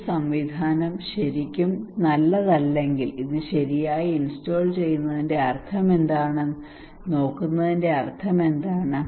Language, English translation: Malayalam, If this mechanism is not really good what is the meaning of looking at what is the meaning of installing it right